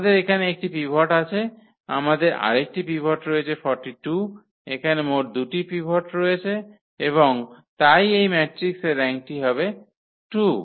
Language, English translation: Bengali, So, we have one pivot here, we have another pivot as 42, so, the total pivots here we have 2 and that is what the rank here is of this matrix is 2